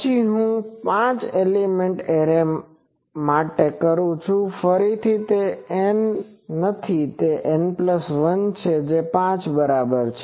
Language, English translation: Gujarati, Then if I do for a five element array, N is equal to again it is not N, N plus 1 is equal to 5